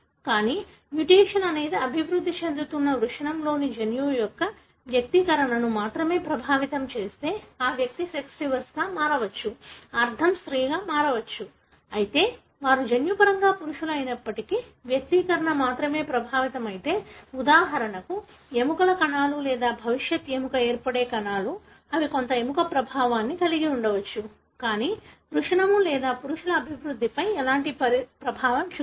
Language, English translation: Telugu, But, if the mutation is such that if affects only the expression of the gene in the developing testis the individual may become sex reverse, meaning become female, although they are genetically male, But if the expression is affected only in the, for example, bones cells or the future bone forming cells they may have some bone effect, but will not have any effect on the testis or male development